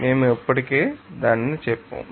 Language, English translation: Telugu, We have already